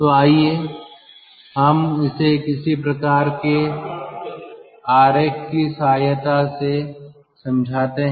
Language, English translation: Hindi, so let us explain this with the help of some sort of diagram